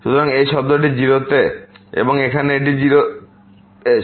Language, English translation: Bengali, So, this term goes to 0 and here this goes to 0